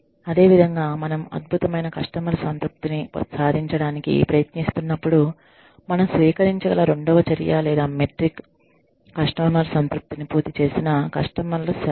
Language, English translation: Telugu, Similarly, you know, when we are trying to achieve excellent customer satisfaction, the second measure or metric that we can adopt is, the percentage of customers, who completed a customer satisfac